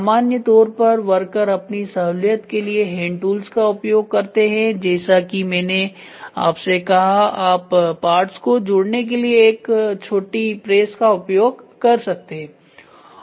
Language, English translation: Hindi, Hand tools generally are used to aid the worker for ease assembly that is what I said you can use a press a small press to place the parts